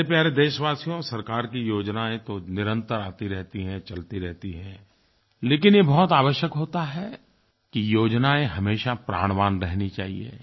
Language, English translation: Hindi, My dear countrymen, the government schemes will continue exist and run, but it is necessary that these schemes always remain operational